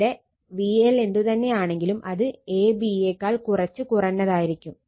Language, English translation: Malayalam, So this one whatever V L will be, it will be slightly less than a b right